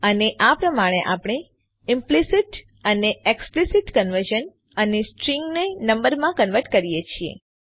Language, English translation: Gujarati, And this is how we do implicit and explicit conversion and How do we converts strings to numbers